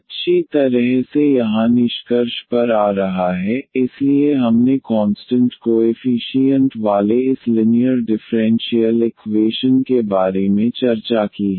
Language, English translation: Hindi, Well so coming to the conclusion here, so we have discussed about this linear differential equations with constant coefficients